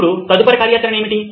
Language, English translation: Telugu, Now what is the next activity sir